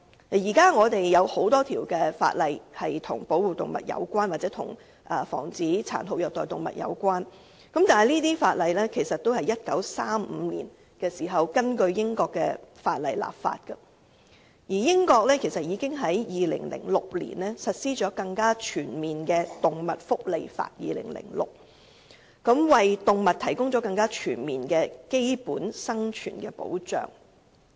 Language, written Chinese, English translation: Cantonese, 現時，有很多法例均與保護動物或防止殘酷虐待動物有關，但這些法例都是在1935年時根據英國的法例制定的，而英國在2006年已實施更全面的《2006年動物福利法》，為動物提供更全面的基本生存保障。, At present there are many laws relating to the protection of animals or the prevention of cruelty to animals but they were enacted in 1935 by modelling on British laws . And yet in 2006 the United Kingdom introduced the Animal Welfare Act 2006 which is more comprehensive and provides better basic living protection for animals